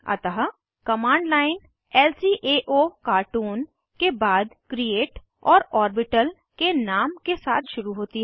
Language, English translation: Hindi, So, the command line starts with lcaocartoon, followed by create and the name of the orbital